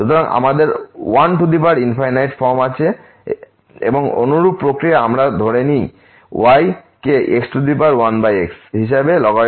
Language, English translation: Bengali, So, we have 1 power infinity form and the similar process we assume as power 1 over take the logarithmic